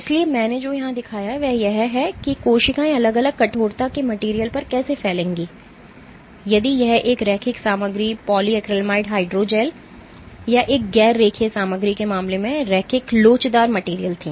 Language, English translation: Hindi, So, what I have shown here is how cells would spread on materials of different stiffnesses if it was a linear material, linear elastic material case of polyacrylamide hydrogel or a non linear material